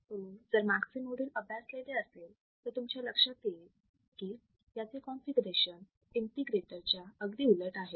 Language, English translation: Marathi, So, if you have seen the last module, its configuration is opposite to an integrator